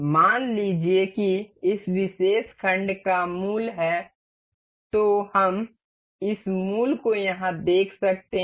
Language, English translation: Hindi, Suppose this particular block has its origin we can see this origin over here